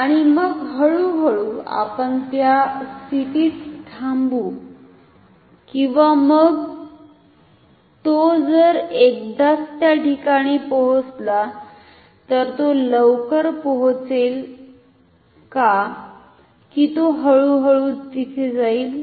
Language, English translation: Marathi, And, then slowly we stop at that position or then if it reaches that position at once will it reach quickly or will it go there slowly